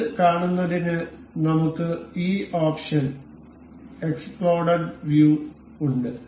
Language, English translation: Malayalam, To see that, we have this option exploded view